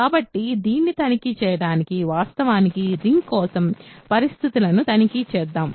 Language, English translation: Telugu, So, to check this let us check actually the conditions for a ring